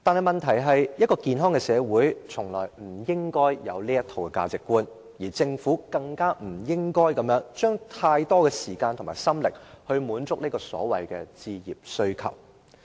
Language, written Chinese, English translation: Cantonese, 問題是，一個健康的社會，從來不應該有這套價值觀，政府更不應該用太多時間和心力滿足所謂置業需求。, The point is no healthy society should tolerate such value judgment . What is more no government should spend too much time and effort in meeting the so - called demand for home ownership